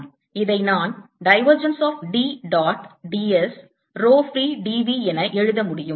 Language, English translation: Tamil, this i can write it as divergence of d dot d s row free, d v